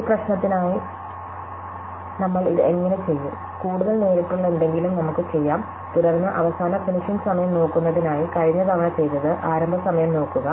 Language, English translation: Malayalam, So, how do we do this for this problem is for this time, let us do something which is more direct, then what we did last time ones for looking at the earliest finishing time, just look at the earliest starting time